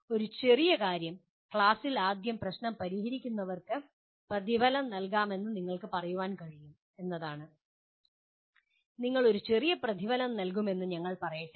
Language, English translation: Malayalam, A trivial thing is you can say those who solve the problem first in the class can be rewarded by let us say you give a small reward